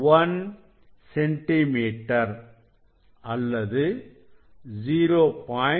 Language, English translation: Tamil, 001 centimetre or 0